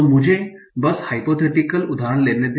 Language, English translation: Hindi, So let me just take in hypothetical example